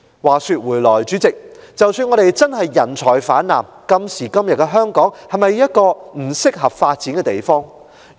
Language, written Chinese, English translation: Cantonese, 話說回來，主席，即使我們確是人才泛濫，但今時今日的香港是否一個適合發展的地方？, That said President even if we really have an excess supply of talents is Hong Kong a suitable place for development nowadays?